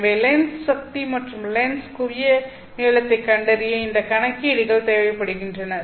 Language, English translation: Tamil, So these calculations are required in order to find the lens power and the lens focal length of the lens